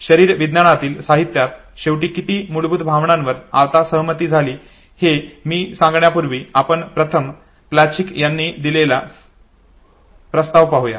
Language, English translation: Marathi, Before I come to how many basic emotions have been no finally agreed upon in the literature in physiology let us first look at the proposal given by Plutchik